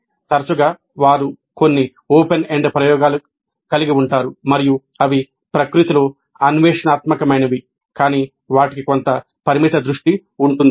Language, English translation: Telugu, Often they have certain open ended experimentation and they are exploratory in nature but they do have certain limited focus